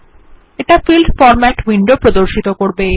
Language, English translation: Bengali, This opens the Field Format window